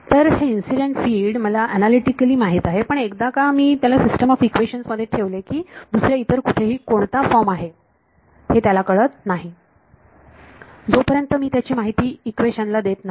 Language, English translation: Marathi, So, the incident field I know it analytically, but once I have put it into the system of equations it is the system of equations they do not; they do not know what the form is anywhere else unless I give it to them